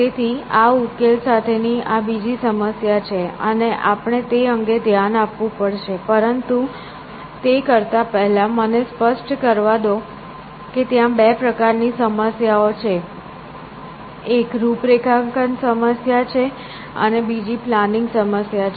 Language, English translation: Gujarati, So, that is the second problem with this solution, and we have to address that, but before we do that, let me also clarify the there are two kinds of problems, one is call the configuration problem, and the other kind is planning problems